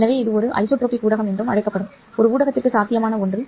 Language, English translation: Tamil, So, this is something that is possible for a medium which is called as anisotropic medium